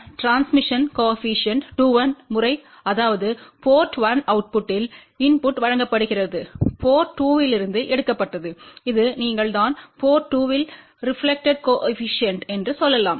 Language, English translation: Tamil, Transmission coefficient, 2 1 that means, input is given at port 1 output is taken from port 2 and this is you can say reflection coefficient at port 2